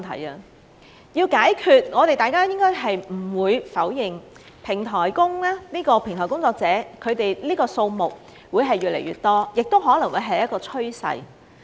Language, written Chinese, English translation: Cantonese, 如要解決問題，我們不應否認平台工作者的數目會越來越多，這亦可能會是一個趨勢。, In order to address the problem we should not deny that platform workers will increase in number and that this may become a trend